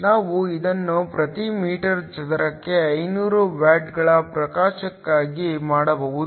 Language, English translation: Kannada, We can also do this for the illumination at 500 watts per meter square